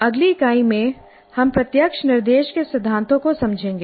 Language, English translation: Hindi, And in the next unit we will understand the principles of direct instruction